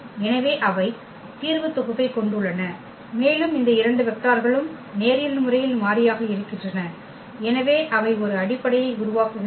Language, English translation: Tamil, So, they span the solution set and these two vectors are linearly independent and therefore, they form a basis